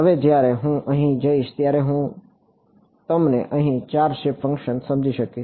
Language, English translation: Gujarati, Now when I go over here this I can you conceivably have four shape functions over here